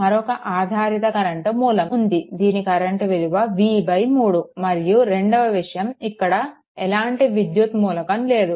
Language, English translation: Telugu, Another dependent current source is there the current is here v v by 3 right and second thing is at there is no electrical element here and nothing